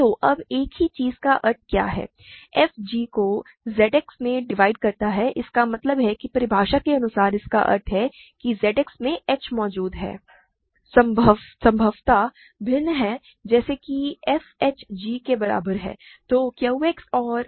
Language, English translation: Hindi, So, now, what is the meaning of the same thing right f divides g in Z X means by definition this means there exists h, possibly different, in Z X such that f h is equal to g